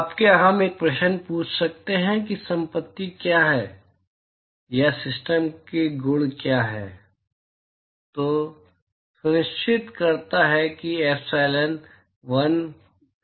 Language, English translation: Hindi, Now, can we ask a question as to when what is the property or rather what are the properties of the system ensure epsilon1 = alpha1